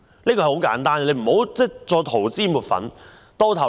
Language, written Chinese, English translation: Cantonese, 這是很簡單的事，不要再塗脂抹粉。, This is very simple matter just stop whitewashing